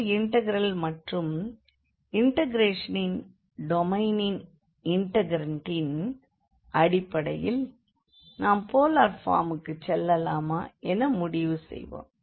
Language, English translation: Tamil, So, based on the integrand of the integral as well as the domain of integration we will decide whether it is better to go for the polar form